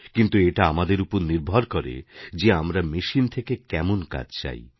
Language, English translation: Bengali, It entirely depends on us what task we want it to perform